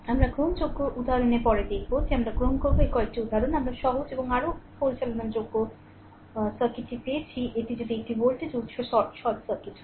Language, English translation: Bengali, We will see later in the taking example few example we will say will take, that we obtained the simpler and more manageable circuit, that if it is a voltage source you short circuit